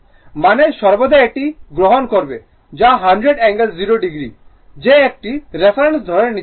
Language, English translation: Bengali, Means you ah you will always take this one that it is 100 angle 0 degree that one reference you have to assume